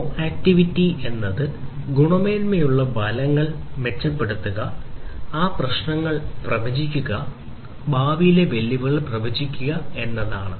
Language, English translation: Malayalam, Proactivity predicting the quality issues, improving safety, forecasting the future outcomes, and predicting the future challenges